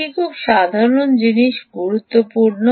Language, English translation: Bengali, that is the most important thing